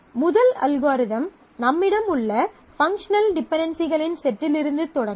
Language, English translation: Tamil, The first algorithm will start with the set of functional dependencies that we have